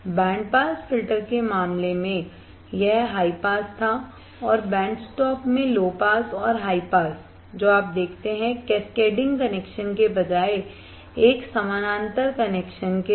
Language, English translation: Hindi, In case of the band pass filter, it was high pass and low pass in case band stop low pass and high pass with a parallel connection instead of cascading connection you see